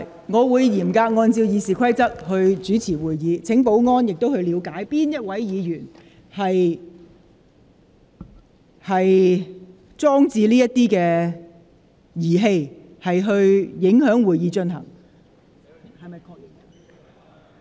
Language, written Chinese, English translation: Cantonese, 我會嚴格按照《議事規則》主持會議，亦請保安人員了解是哪位議員放置發聲物件，妨礙會議進行。, I will preside over the meeting in strict compliance with RoP . Will security personnel please see which Member has placed the sound device to disrupt the proceedings of the meeting